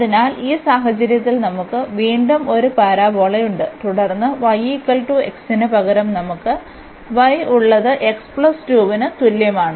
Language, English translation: Malayalam, So, in this case again we have one parabola and then the line instead of y is equal to x we have y is equal to x plus 2